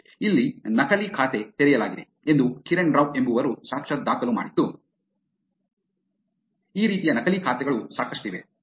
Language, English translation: Kannada, Here is a complaint that Kiran Rao has actually filed saying that fake account has been created, and there are many, many fake accounts like this